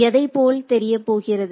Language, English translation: Tamil, What is going to look like